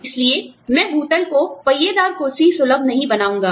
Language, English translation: Hindi, So, i will not make the ground floor, wheelchair accessible